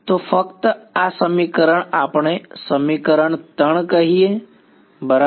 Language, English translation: Gujarati, So, let us this just this equation let us call it equation 3 right